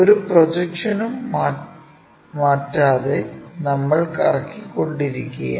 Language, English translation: Malayalam, We are going to make it there we are just rotating not changing any projections